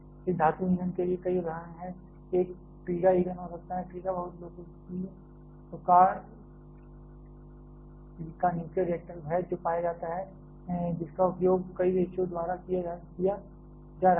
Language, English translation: Hindi, There are several examples for this metal fuel one can be TRIGA fuel, TRIGA is very popular type of nuclear reactor which is found which is being used by several countries